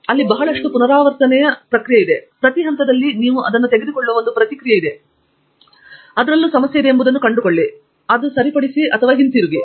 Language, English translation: Kannada, There is a lot of iterative process, but at every stage there is a feedback you take it and then you find out where the problem is and fix it there and come back and so on